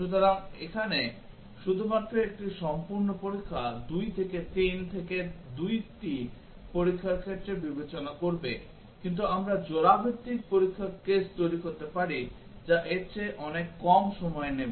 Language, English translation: Bengali, So, here just an exhaustive testing will consider 2 into 3 into 2 numbers of test cases, but we can generate pair wise test case which will take much less than that